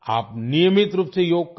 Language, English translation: Hindi, You should do Yoga regularly